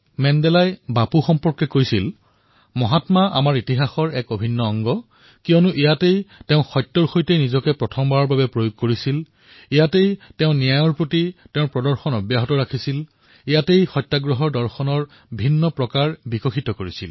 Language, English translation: Assamese, Mandela said this about Bapu "Mahatma is an integral part of our history, because it was here that he used his first experiment with truth; It was here, That he had displayed a great deal of determination for justice; It was here, he developed the philosophy of his satyagraha and his methods of struggle